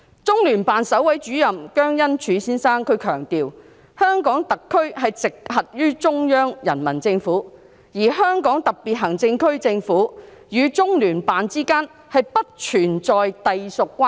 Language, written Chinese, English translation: Cantonese, 中聯辦首位主任姜恩柱先生強調，香港特別行政區直轄於中央人民政府，而香港特別行政區政府與中聯辦之間不存在隸屬關係。, Mr JIANG Enzhu the first Director of LOCPG stressed that the Hong Kong SAR came directly under the Central Peoples Government and no affiliation had been established between the Hong Kong SAR and LOCPG